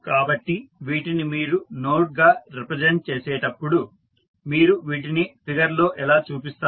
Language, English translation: Telugu, So, when you represent them as a node how you will show them in the figure